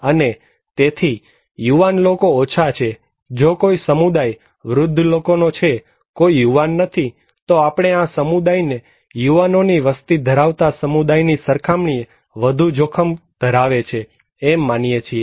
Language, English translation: Gujarati, And so, young people is less so, if a community is comprised by only old people, no young people, then we consider that this community is at risk than a community which has more younger population